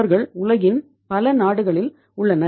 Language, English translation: Tamil, They are in the many countries of the world